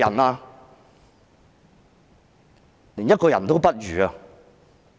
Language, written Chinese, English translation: Cantonese, 你們是甚至一個人也不如。, You cannot even be considered humans